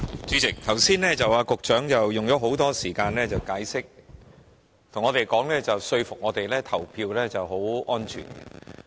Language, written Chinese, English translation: Cantonese, 主席，局長剛才花了很多時間解釋，想說服我們相信投票很安全。, President the Secretary has spent a long time in a bid to convince us that the voting procedures are secure